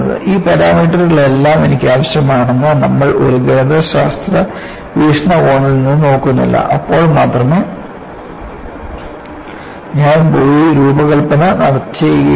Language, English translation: Malayalam, We are not looking from a mathematical point of view that I need all these parameters, only then I will go and design